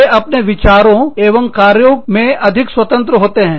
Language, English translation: Hindi, They are more independent, in their thought and action